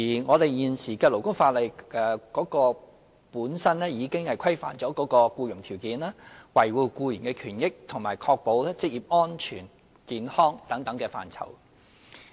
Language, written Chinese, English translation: Cantonese, 我們現時的勞工法例本身已規範僱傭條件、維護僱員權益及確保職業安全與健康等範疇。, Such areas as conditions of employment safeguarding the rights and interests of employees and ensuring occupational safety and health and so on are already regulated by the existing labour legislation itself